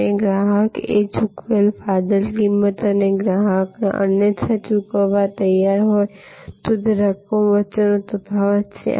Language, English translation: Gujarati, And the customer surplus is the difference between the price paid and the amount the customer would have been willing to pay otherwise